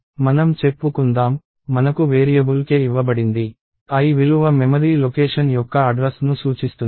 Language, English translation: Telugu, Let us say, I am given a variable k, the l value refers to the address of the memory location